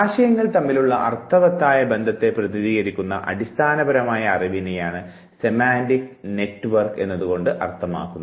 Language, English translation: Malayalam, Now, semantic network is nothing but it is basically knowledge representing meaningful relationship among concepts